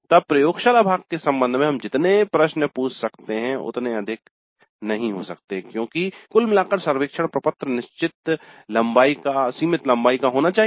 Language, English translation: Hindi, The reason is that we have already certain questions regarding the theory part then the number of questions that we can ask regarding the laboratory part may not be many because overall survey form has to be of certain limited length